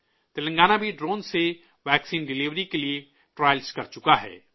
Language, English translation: Urdu, Telangana has also done trials for vaccine delivery by drone